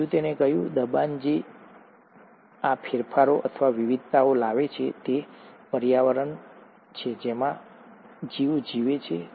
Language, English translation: Gujarati, The second he said, the pressure which brings about these modifications, or the variations, is the environment in which the organism lives